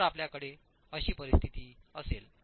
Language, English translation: Marathi, So let's look at this situation